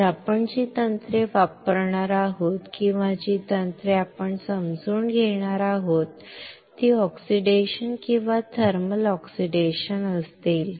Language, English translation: Marathi, So, the techniques that we will be using or techniques that we will be understanding would be oxidation or thermal oxidation